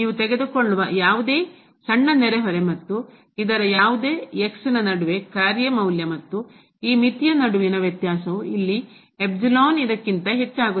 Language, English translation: Kannada, Whatever small neighborhood you take and any between this, the difference between the function value and this limit will exceed than this epsilon here